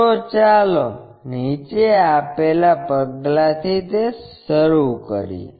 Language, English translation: Gujarati, So, let us begin that with the following steps